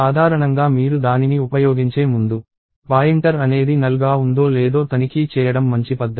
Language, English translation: Telugu, So, generally it is a good practice to check whether a pointer is null or not, before you use it